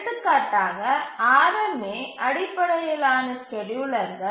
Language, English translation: Tamil, For example, the RMA based schedulers are much more efficient